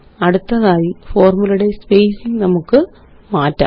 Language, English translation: Malayalam, Next, let us make changes to the spacing of the formulae